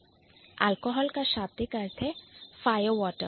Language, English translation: Hindi, Alcohol literally means fire water